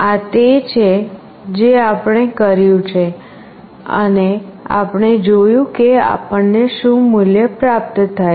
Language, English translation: Gujarati, This is what we have done and we have seen that what value we are receiving